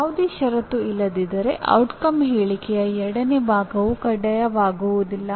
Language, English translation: Kannada, If there is no condition, the second part of the outcome statement is optional